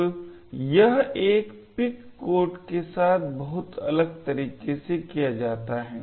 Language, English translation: Hindi, So, this is done very differently with a pic code